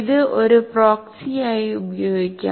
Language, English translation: Malayalam, It can be used as a proxy